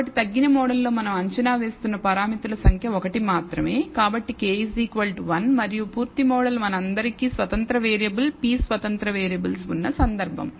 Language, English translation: Telugu, So, the number of parameters we are estimating in the reduced model is only 1, so k equals 1 and the full model is the case where we have all the independent variables p independent variables